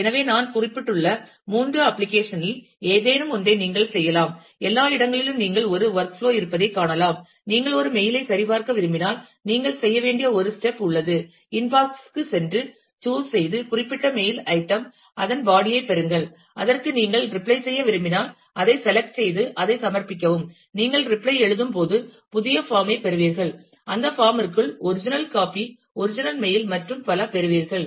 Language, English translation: Tamil, So, you can any of the 3 application that I just mentioned, everywhere you can find that there is a work flow, if you are want to check a mail then, there is a steps that you need to do go to the inbox, chose the particular mail item, get the body and then if you want to reply to that, select that, the submit that, you get a get a new form when you write the reply, and within that form you get the original copy of the original mail and so on